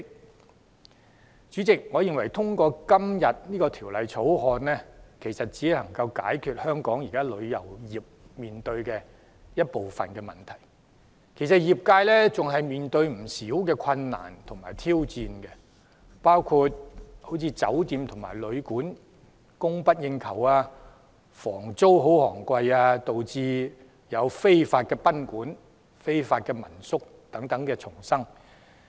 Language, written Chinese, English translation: Cantonese, 代理主席，我認為《條例草案》只能解決香港旅遊業現時面對的部分問題，業界仍然面對不少困難和挑戰，包括酒店及旅館供不應求、房租昂貴，導致非法賓館及民宿叢生。, Deputy President in my view the Bill can only offer a partial solution to the problems now facing our travel industry . The trade will still have to face a wide range of challenges and difficulties including shortage of hotels and hostels and high accommodation fees resulting in an increasing number of unlicensed guesthouses and home - stay lodgings